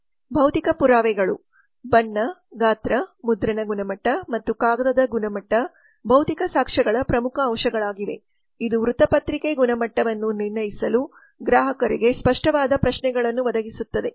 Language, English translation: Kannada, the physical evidence color size printing quality and paper quality are the major elements of physical evidence which provide tangible ques to consumer for judging newspaper quality